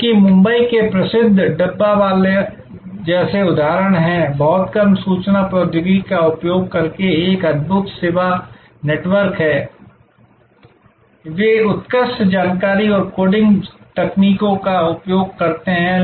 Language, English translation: Hindi, Because, there are examples like the famous Dabbawalas of Mumbai, an amazing service network using very little of information technology, they do use excellent information and coding techniques